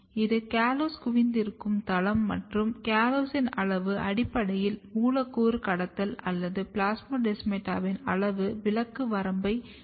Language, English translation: Tamil, And if you look here, this is the site of callose accumulation and callose the amount of callose basically defines the, the, the molecular trafficking or the size exclusion limit of the plasmodesmata